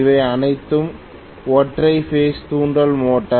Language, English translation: Tamil, They are all single phase induction motor